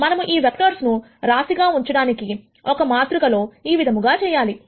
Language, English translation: Telugu, If we were to stack all of these vectors in a matrix like this